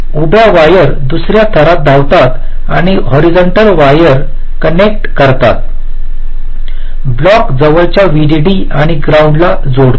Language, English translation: Marathi, the vertical wires run in another layer and connect the horizontal wires block connects to the nearest vdd and ground